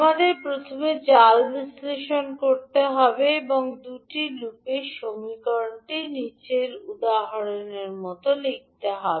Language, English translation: Bengali, We have to first use the mesh analysis and write the equation for these 2 loops